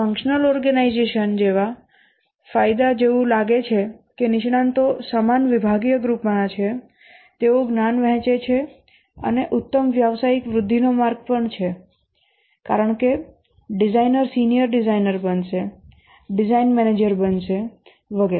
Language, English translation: Gujarati, Advantage just like the functional organization, since the experts belong to the same department or group, the share knowledge and also better professional growth path because a designer will become a senior designer, become a design manager and so on